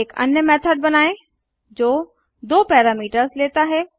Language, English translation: Hindi, Let us create another method which takes two parameter